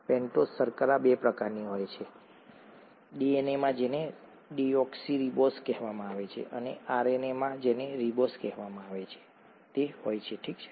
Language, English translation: Gujarati, The pentose sugars are of two kinds, DNA has what is called a deoxyribose and RNA has what is called a ribose, okay